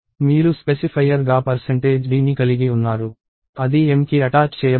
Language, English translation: Telugu, You have percentage d as a specifier that will attach it to m